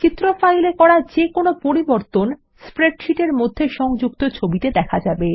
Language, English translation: Bengali, Any changes made to the image file, Will be reflected in the linked image In the spreadsheet